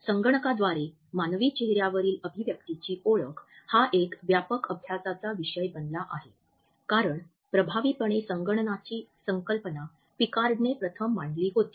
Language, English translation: Marathi, Human facial expressions as well as their recognition by computers has become a widely studied topic since the concept of effective computing was first introduced by Picard